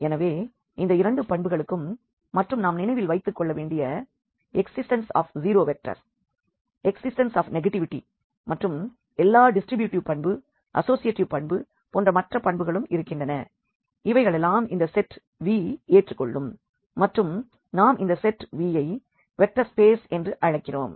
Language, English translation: Tamil, So, with these two properties and there are other properties as well which we have to keep in mind like the existence of the zero vector, existence of this negativity and all other these distributivity property associativity property etcetera must hold for this set V then we call this set V as a vector space